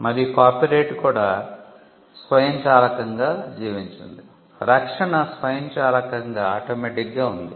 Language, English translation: Telugu, And copyright also subsisted automatically, the protection was automatic